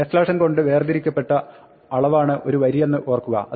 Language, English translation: Malayalam, Remember a line is a quantity which is delimited by backslash n